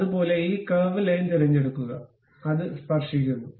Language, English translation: Malayalam, Similarly, pick this curve line make it tangent